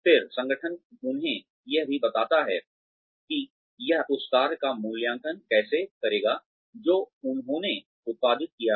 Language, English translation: Hindi, Then, the organization also tells them, how it will evaluate the work, that they have produced